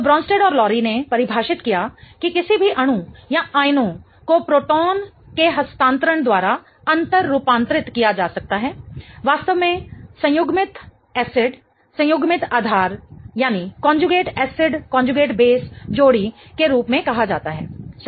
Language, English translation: Hindi, So, Bronstead and Lowry defined that any pair of molecule or ions that can be interconverted by a transfer of proton is really called as an conjugate acid conjugate base pair, right